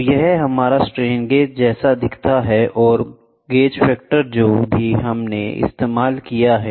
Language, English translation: Hindi, So, this is our strain gauge looks like and the gauge factor whatever we have used